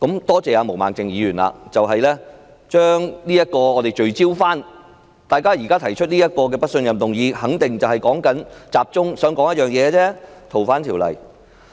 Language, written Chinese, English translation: Cantonese, 多謝毛孟靜議員把大家重新聚焦，讓大家知道提出這項不信任議案的原因必然旨在集中討論《逃犯條例》。, I thank Ms Claudia MO for bringing our attention back on focus making us aware that the reason for proposing this no - confidence motion is definitely to facilitate a focused discussion on the Fugitive Offenders Ordinance FOO